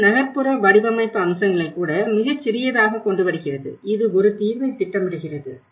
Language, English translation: Tamil, This brings even the urban design aspects into a smallest, planning a settlement